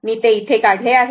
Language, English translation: Marathi, I have drawn it here, right